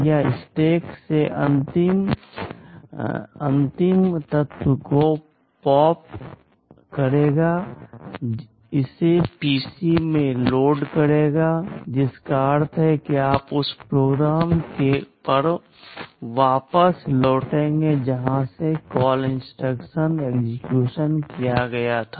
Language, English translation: Hindi, It will pop the last element from the stack, it will load it into PC, which means you return back to the program from where the call instruction was executed